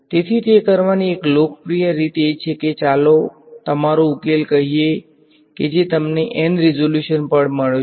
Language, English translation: Gujarati, So, one popular way of doing it is that you take your so let us say your solution that you got at resolution N